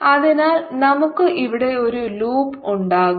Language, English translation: Malayalam, so let's use a, let's make a loop here